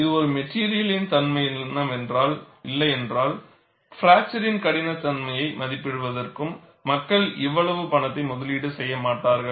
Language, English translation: Tamil, And obviously, if it is not a material property, people would not invest so much money, to evaluate fracture toughness